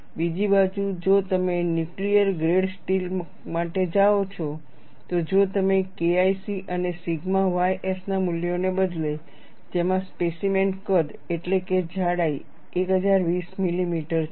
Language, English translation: Gujarati, On the other hand, if you go for nuclear grade steel, if you substitute the values of K 1 C and sigma y s in that, the specimen size, that is the thickness, is 1020 millimeters